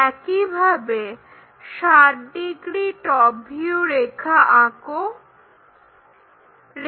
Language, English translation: Bengali, Similarly, let us draw in the top view 60 degrees line